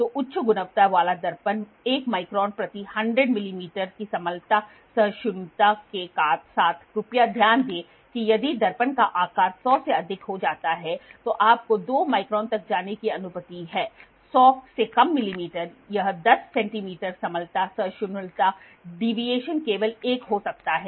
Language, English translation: Hindi, So, the high quality mirror with flat flatness tolerance of 1 microns per 100 millimeter, please note down if the mirror size goes more than 100 you are allowed to go to 2 micron anything less than 100 millimeter this 10 centimeter the flatness tolerance the deviation can be only one